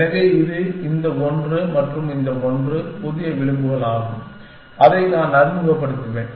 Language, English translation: Tamil, So, this is this one and this one is new edges, that I will introduced